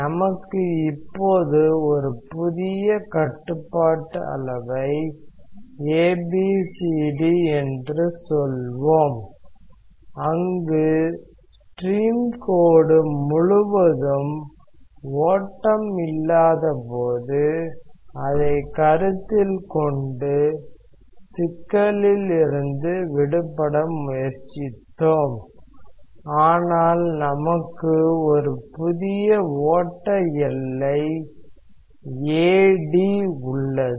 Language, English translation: Tamil, So, now, let us make a new control volume say ABCD, where we have tried to get rid of a problem by considering the stream line when there is no flow across it, but we have a new flow boundary AD